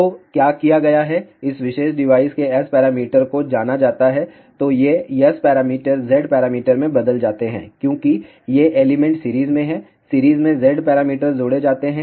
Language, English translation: Hindi, So, what has been done S parameters of this particular device are known then these S parameters are converted to Z parameters, since these elements are in series, in series Z parameters get added